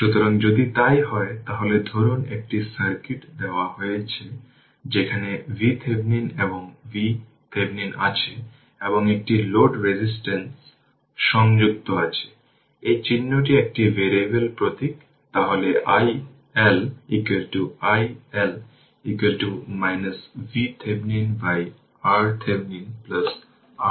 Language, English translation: Bengali, So, if it is so then suppose a circuit is given where we have got V Thevenin and R Thevenin right and a load resistance is connected, this symbol is a variable symbol right, then i L is equal to i L is equal to your V Thevenin by R Thevenin plus R L right